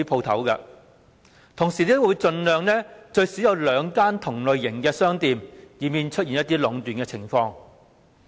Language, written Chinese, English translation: Cantonese, 同時亦會盡量安排最少有兩間同類型的商店，以免出現壟斷的情況。, Meanwhile arrangements would be made as far as practicable to provide at least two shops of a similar type to prevent monopolization